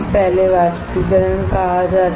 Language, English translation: Hindi, First is called Evaporation